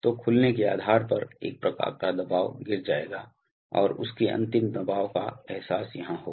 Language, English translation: Hindi, So depending on the opening there will be a kind of pressure drop and their final pressure will be realized here